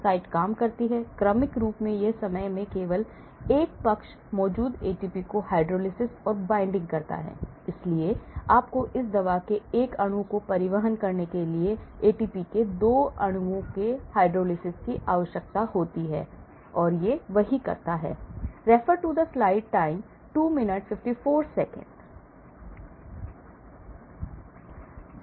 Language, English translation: Hindi, The site works sequentially only one side at a time binds and hydrolysis the ATP present here, so you require hydrolysis of 2 molecules of ATP to transport one molecule of this drug, so that is what it does